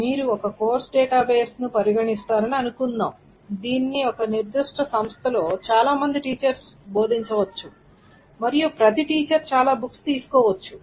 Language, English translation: Telugu, So what does it mean is that suppose you consider a course database, it can be taught by many teachers in a particular institute and each teacher can take up many of the books